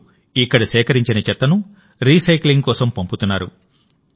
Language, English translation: Telugu, Now the garbage collected here is sent for recycling